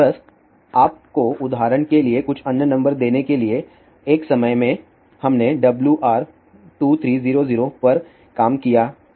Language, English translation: Hindi, Just to give you some other numbers also for example, at one time we did work on WR 2300